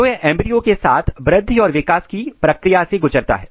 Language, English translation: Hindi, So, this embryo is undergoing the process of both simultaneously growth and development